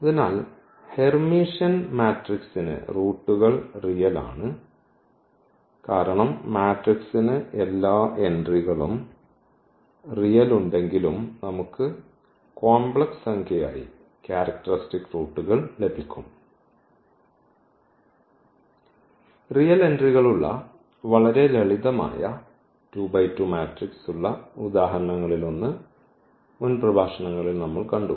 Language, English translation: Malayalam, So, what is this result that for Hermitian matrices the roots are real because what we have also seen that though the matrix having all real entries, but we can get the characteristic roots as complex number we have seen in previous lectures one of the examples where we had a very simple 2 by 2 matrix with real entries